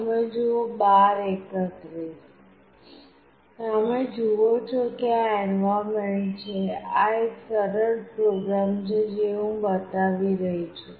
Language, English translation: Gujarati, You see this is the environment; this is the simple program that I am showing